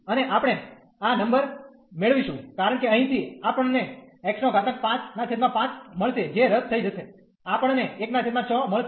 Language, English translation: Gujarati, And we will get these number, because from here we will get x 5 by 5 and this 5 will get cancel, we will get 1 by 6